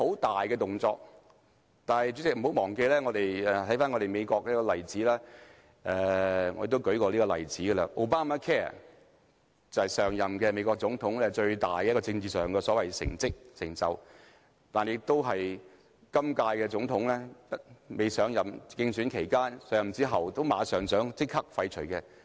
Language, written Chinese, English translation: Cantonese, 動作似乎十分大，但看看美國的例子，我也曾列舉過這個例子，便是 Obamacare， 這是上任美國總統自詡最大的政治成就，但也是今屆總統在競選期間、上任後想立刻廢除的政策。, This seems to be a drastic move but as in the case of Obamacare in the United States that I have cited before although the former President of the United States boasted it as his greatest political achievement the incumbent President vowed to abolish it during his election campaign . As soon as he assumed office he wanted to take immediate action to abolish it but owing to various political reasons such action has yet to be taken